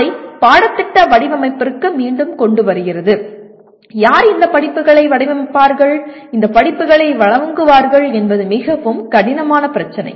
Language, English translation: Tamil, And again it brings it back to curriculum design and who will design these courses and who will offer these courses is a fairly difficult issue to address